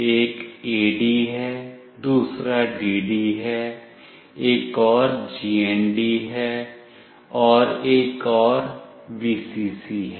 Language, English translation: Hindi, One is AD, another is DD, another is GND and another is Vcc